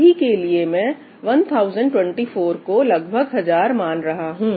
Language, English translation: Hindi, I am going to approximate 1024 with 1000 for now